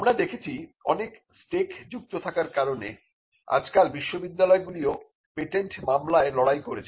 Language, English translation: Bengali, Now, we can see that because of the stakes involved universities are also likely to fight patent litigation